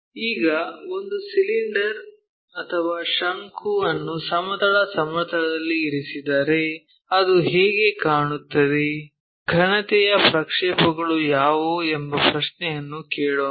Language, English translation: Kannada, Now, let us ask a question if a cylinder or cone is placed on horizontal plane, how it looks like, what are the projections for the solid